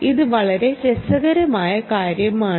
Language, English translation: Malayalam, ok, so this is the very interesting thing